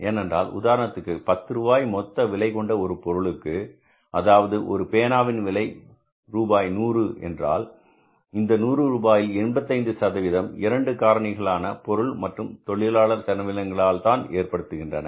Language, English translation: Tamil, If you talk about if this pen is there and this pen is costing us 100 rupees, say this pen is costing us 100 rupees, it means 85 rupees of this pen's cost is because of the two elements of the material and labor